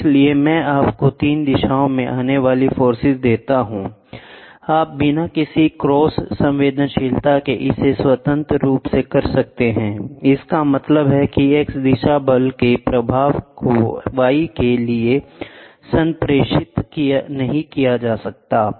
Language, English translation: Hindi, So, I here you have forces coming in 3 directions you the you can do it independently without having any cross sensitivity; that means, to say the effect of x direction force is not communicated to y